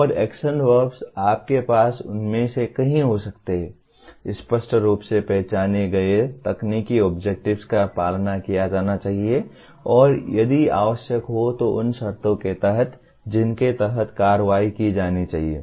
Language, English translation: Hindi, And the action verbs you can have multiple of them, should be followed by clearly identified technical objects and if required by conditions under which the actions have to be performed